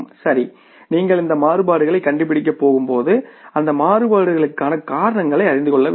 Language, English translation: Tamil, So, when you are going to find out these variances we will have to know the reasons for those variances, right